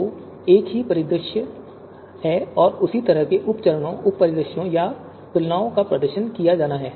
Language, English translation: Hindi, So the same kind of you know scenario and the same kind of you know sub you know steps, sub scenarios, or comparisons are to be performed